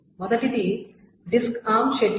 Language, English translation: Telugu, The first is the disk arm scheduling